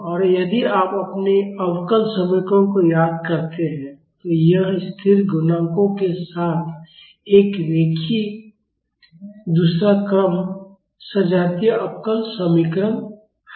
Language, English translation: Hindi, And if you remember your differential equations, this is a linear second order homogeneous differential equation with constant coefficients